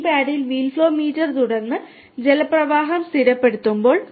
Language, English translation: Malayalam, As soon as this paddle wheel flow meter is opened and the water flow is stabilized